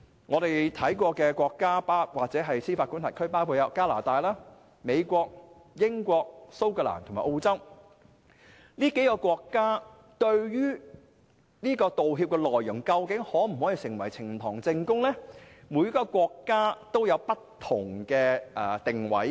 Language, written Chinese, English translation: Cantonese, 我們曾經參考其做法的國家或司法管轄區，分別有加拿大、美國、英國、蘇格蘭和澳洲，這些國家對於道歉內容能否成為呈堂證供，各有不同定位。, We have studied the approaches of different countries or jurisdictions including Canada the United States the United Kingdom Scotland and Australia . These places adopt different stances regarding the admissibility of the contents of an apology as evidence in court